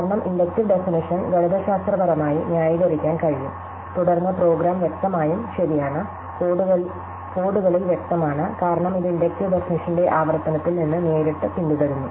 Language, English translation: Malayalam, Because, the inductive definition can be mathematically justified and then the program is obviously correct; obvious in quotes, because it follows directly from the recursive of the inductive definition